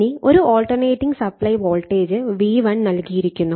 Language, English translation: Malayalam, Now, an alternating supply voltage it is a V1 is given right